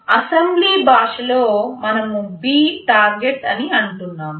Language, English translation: Telugu, In assembly language we just say B Target